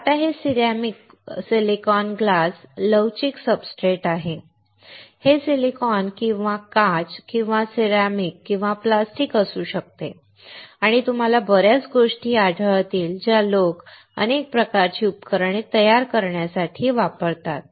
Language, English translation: Marathi, So, now this is ceramic silicon glass flexible substrate; This s can be silicon or glass or ceramic or plastic and you will come across a lot of things that people use to fabricate several kinds of devices